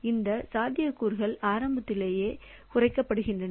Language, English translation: Tamil, So, those possibilities are cut down at the very beginning